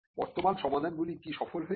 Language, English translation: Bengali, Have the existing solutions been successful